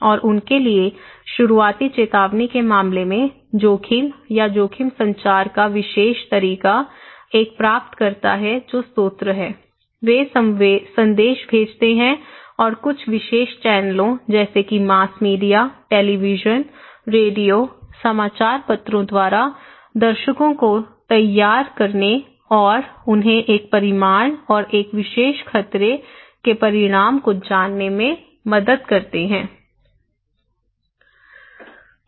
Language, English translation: Hindi, And for them, the particular way of communicating risk or risk communications in case of early warning, there is a recipient that is the source, they send the message and through some particular channels like mass media, televisions, radio, newspaper to the audience in order to help them to prepare and to know them the magnitude and the consequence of a particular hazard